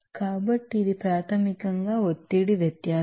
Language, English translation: Telugu, So, this is basically pressure difference